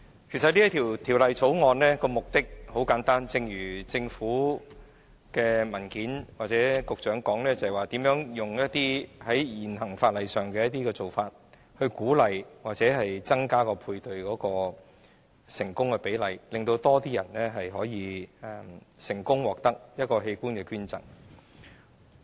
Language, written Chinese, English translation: Cantonese, 其實這項《條例草案》的目的很簡單，正如政府的文件或局長所指出，是如何以現時法例的做法來鼓勵或增加配對的成功比例，令更多人能成功獲器官捐贈。, The objective of this Bill is actually very simple . As explained in the Government papers or by the Secretary it is to encourage paired donation or increase its successful rate so that more people can successfully receive organ donation